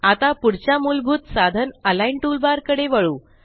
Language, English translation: Marathi, Let us move on to the next basic aid Align toolbar